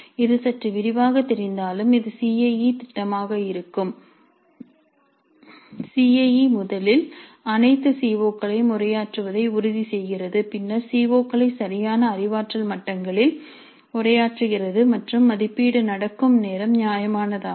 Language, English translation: Tamil, Though it looks a little bit detailed, this ensures that the CIE first addresses all CEOs then at the address COs at appropriate cognitive levels and the time at which the assessment happens is reasonable